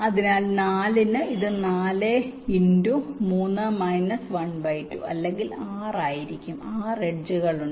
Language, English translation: Malayalam, so for four it will be four into three by two or six, there are six edges